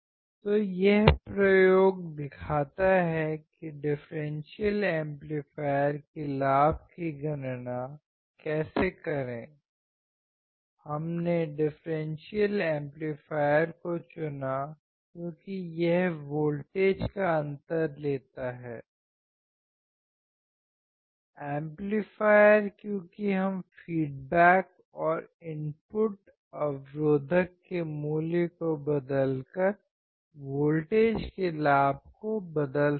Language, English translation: Hindi, So, this experiment shows how to calculate the gain of a differential amplifier; we chose differential amplifier because it takes a difference of voltages; amplifier because we can change the gain of the voltage that is difference of voltage by changing the value of feedback resistor and the input resistor